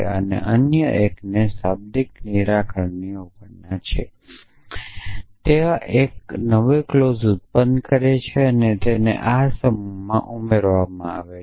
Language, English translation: Gujarati, And other one has a negation of that literal resolve them produce a new clause and added to this set